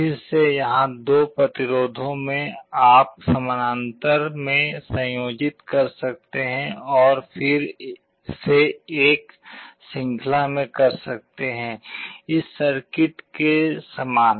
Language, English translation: Hindi, Again similarly the first 2 resistances here, you can connect in parallel and then do a series you get an equivalent circuit like this